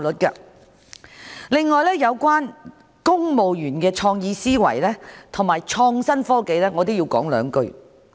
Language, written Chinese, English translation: Cantonese, 此外，我要就有關公務員的創意思維及創新科技，表達一點意見。, Furthermore I wish to express my views on the creative thinking and innovative technology of the civil service